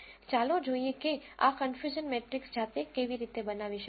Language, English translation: Gujarati, Let us see how to generate this confusion matrix manually